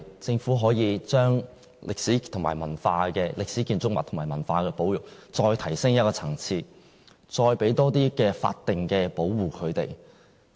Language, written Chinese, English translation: Cantonese, 政府可否把歷史建築物和文化保育再提升一個層次，給予更多的法定保護？, Could the Government attach greater importance to the conservation of historic buildings and culture and give them better statutory protection?